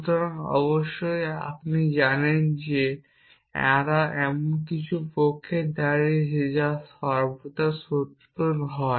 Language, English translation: Bengali, So, that of course, you know they stand for something which is always true or and something which is the always false